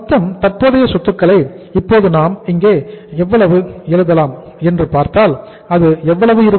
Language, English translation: Tamil, If you take the total amount of the current assets now, we write here total current assets